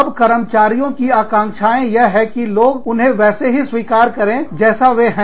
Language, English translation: Hindi, Now, the expectations of the employees are that, people that they are, they want somebody, to accept them, as they are